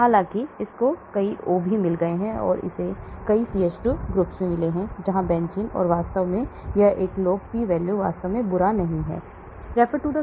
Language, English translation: Hindi, Although this has got many O's, it also has got many CH2 groups here the benzene rings and so on actually, that is a log P is not really bad